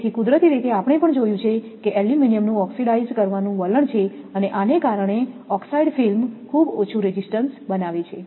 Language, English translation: Gujarati, So, naturally we have seen also aluminum has a tendency to oxidize and because of these that the oxide film forms a very high resistance